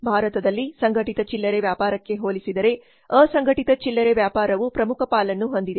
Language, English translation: Kannada, In India unorganized retailing has major stake in comparison to organized retail